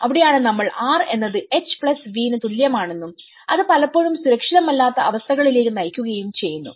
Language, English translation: Malayalam, And then that is where we talk about the R is equal to H+V and that often results into the unsafe conditions